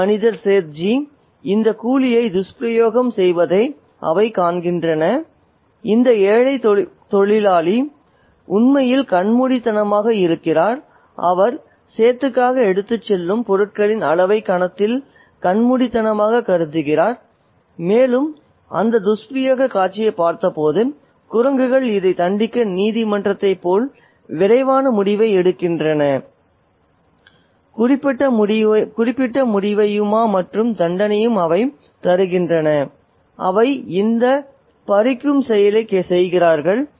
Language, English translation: Tamil, They see this man, Sethji, abusing this coolie, this poor worker who is literally blinded by, momentarily blinded by the amount of material that he is carrying for the set and they watch that scene of abuse, the monkeys make a quick decision to punish this particular demon within courts and they do this act of snatching